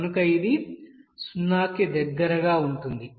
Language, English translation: Telugu, So it is very near about to 0